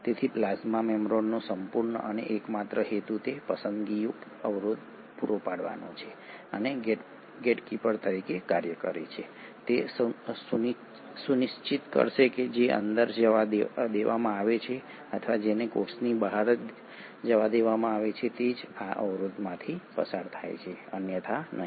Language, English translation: Gujarati, So the whole and sole purpose of the plasma membrane is to provide that selective barrier and act as a gatekeeper, it will make sure that only what is allowed to move in or what is allowed to move outside of a cell goes through this barrier, otherwise no